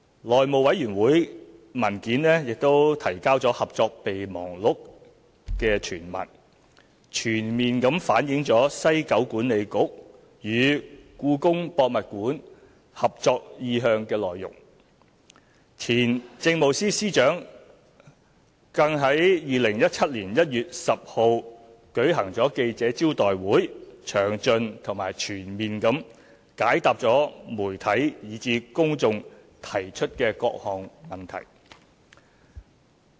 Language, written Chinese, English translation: Cantonese, 內務委員會文件提交了《合作備忘錄》全文，全面反映西九管理局與故宮博物院合作意向的內容，前政務司司長亦於2017年1月10日舉行記者招待會，詳盡和全面地解答媒體以至公眾提出的各項問題。, The paper for the House Committee has enclosed a copy of MOU which fully reflects the details of the intent on cooperation between WKCDA and the Palace Museum . In the press conference held on 10 January 2017 former Chief Secretary for Administration addressed the various questions raised by the media and the public in even greater detail